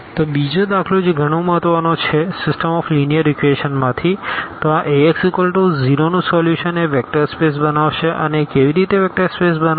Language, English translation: Gujarati, So, another example which is also a very important example from the system of linear equations; so, the solution of this Ax is equal to 0 this form a vector space and how it forms a vector space